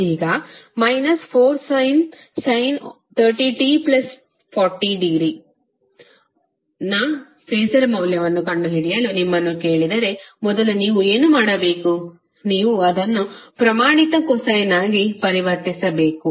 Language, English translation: Kannada, Now if you are asked to find out the phaser value of minus 4 sine 30 t plus 40 degree, first what you have to do, you have to convert it into a standard cosine term